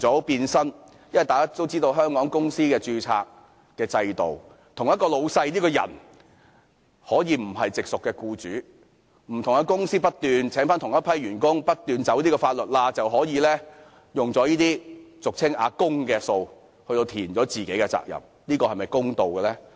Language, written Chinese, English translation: Cantonese, 大家都知道，根據香港的公司註冊制度，一名老闆可以不是直屬僱主，於是不同的公司會不斷聘請同一批員工，不斷鑽法律上的空子，這樣便可以利用這些俗稱"阿公"的款項填補自己的供款。, As we all know under the company registration system of Hong Kong a boss may not be an immediate employer so different companies will keep recruiting the same group of workers to exploit the legal loopholes continuously . In this way employers can make use of the so - called Grandpas money to subsidize their contribution